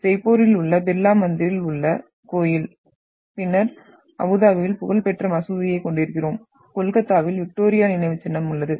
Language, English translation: Tamil, The temple in Birla mandir in Jaipur and then we are having the famous mosque in Abu Dhabi and then we have a Victoria Memorial in Kolkata